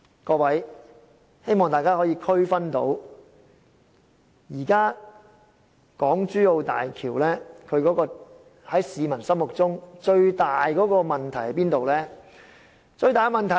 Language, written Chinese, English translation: Cantonese, 各位，希望大家可以區分到，現時港珠澳大橋在市民心中最大的問題是甚麼呢？, Colleagues I hope you are able to identify what is the greatest problem of HZMB as perceived by the public now?